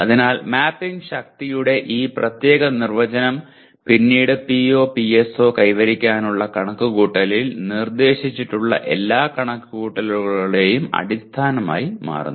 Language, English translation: Malayalam, So this particular what do you call definition of mapping strength becomes the basis for all computations subsequently proposed in computing the PO/PSO attainment